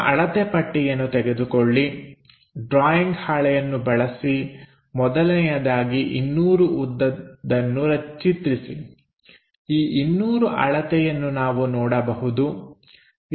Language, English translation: Kannada, So, use our scale using the drawing sheet, first of all draw 200 length the 200 length here we can see this one is 80 units, this one is 40 units and this one is 80 units